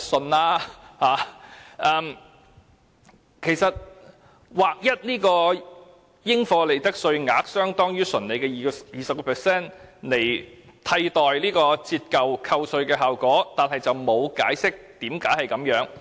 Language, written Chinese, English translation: Cantonese, 政府只提出劃一應課稅款額相當於純利的 20% 以代替折舊免稅額，但卻沒有解釋箇中原因。, It merely pointed out that a standardized taxable amount of 20 % of the tax base would be used to replace the tax depreciation but no explanation has been given